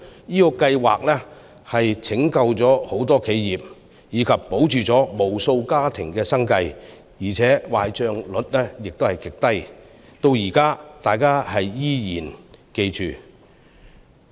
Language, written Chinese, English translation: Cantonese, 這個計劃拯救了很多企業，保住無數家庭的生計，而且壞帳率極低，大家至今仍然記得。, This Scheme did save a lot of companies and maintain the livelihood of a great number of families . Moreover it had a very low default rate and is still remembered today